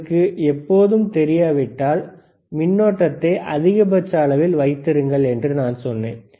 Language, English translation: Tamil, I told you that if you do not know always, keep the current on maximum probe on maximum,